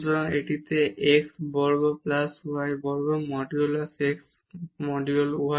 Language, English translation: Bengali, So, here this is x square plus y square over modulus x plus modulus y